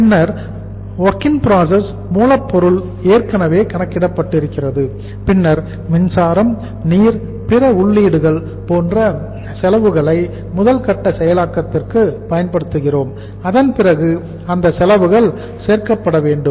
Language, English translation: Tamil, Then the WIP, raw material is already weighted and then some expenses which we are utilizing like power, water, other inputs for processing that to the first stage then those expenses should be added